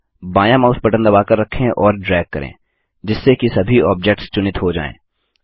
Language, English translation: Hindi, Now press the left mouse button and drag so that all the objects are selected